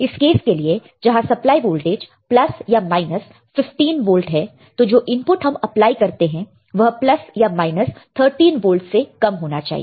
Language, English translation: Hindi, This is in general we are talking about in general if I apply plus minus 15 my input voltage range should be around plus minus 13 volts